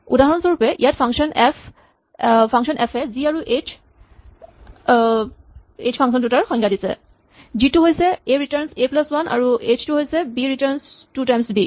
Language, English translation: Assamese, So, here for instance the function f has defined functions g and h, g of a returns a plus 1, h of b returns two times b